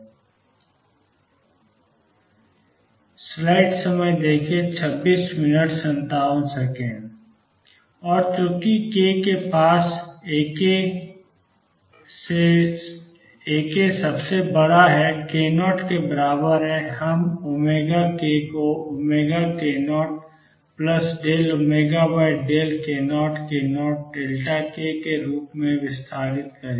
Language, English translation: Hindi, And now since A k is largest near k equals k 0, we will expand omega k as omega of k 0 plus d omega d k at k 0 delta k